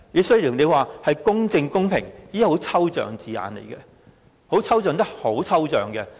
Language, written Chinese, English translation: Cantonese, 雖然條文提到公正公平，但這是很抽象的字眼，確實非常抽象。, Although the provision contains the wording of just and equitable this is abstract wording indeed very abstract